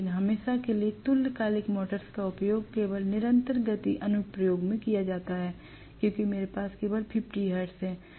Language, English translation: Hindi, But invariably synchronous motors are used only in constant speed application because I have only 50 hertz